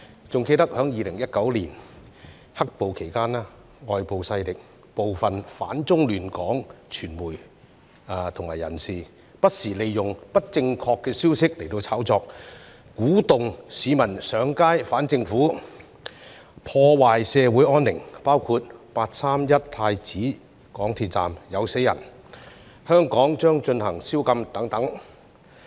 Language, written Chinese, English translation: Cantonese, 還記得在2019年"黑暴"期間，外部勢力、部分"反中亂港"的傳媒及人士，不時利用不正確的消息炒作，鼓動市民上街反政府，破壞社會安寧，包括"八三一"港鐵太子站有人死亡、香港將實施宵禁等。, I can still recall that during the black - clad violence in 2019 some foreign forces media and individuals that aimed at opposing China and disrupting Hong Kong often made use of misinformation to cook up stories to incite people to take to the street in protest against the Government thus causing disturbance to public peace and order . Examples of such include the claim of fatalities in the 31 August incident at MTR Prince Edward Station and rumours about the introduction of a curfew in Hong Kong